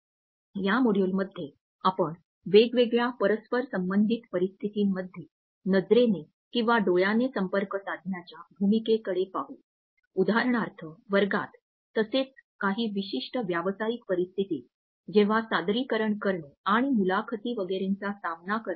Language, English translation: Marathi, In this module we would look at the role of eye contact in different interpersonal situations, for example, in the classroom as well as during other certain professional situations like making a presentation and facing interviews etcetera